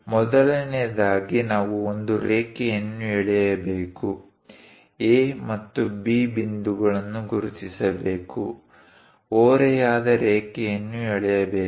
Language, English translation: Kannada, First of all, we have to draw a line, mark A and B points, draw an inclined line